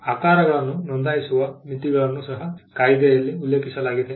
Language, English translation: Kannada, The limits on registration of shapes are also mentioned in the act